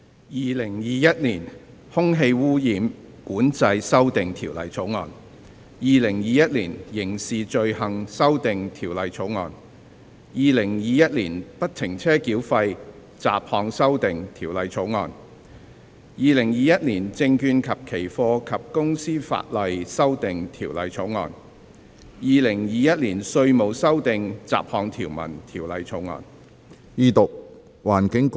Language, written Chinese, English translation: Cantonese, 《2021年空氣污染管制條例草案》《2021年刑事罪行條例草案》《2021年不停車繳費條例草案》《2021年證券及期貨及公司法例條例草案》《2021年稅務條例草案》。, Air Pollution Control Amendment Bill 2021 Crimes Amendment Bill 2021 Free - flow Tolling Bill Securities and Futures and Companies Legislation Amendment Bill 2021 Inland Revenue Amendment Bill 2021 Bills read the First time and ordered to be set down for Second Reading pursuant to Rule 533 of the Rules of Procedure